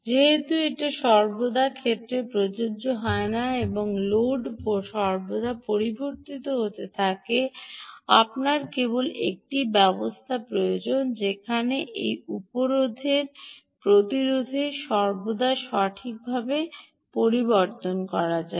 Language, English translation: Bengali, since this is not always the case and the load continues to be changing all the time, you only need a mechanism where this resistance can also be altered at all times, right